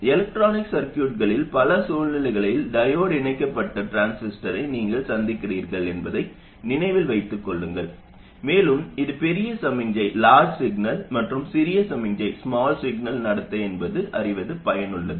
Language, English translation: Tamil, You do encounter the diode connected transistor in a lot of situations in electronic circuits, and it is useful to know its large signal and small signal behavior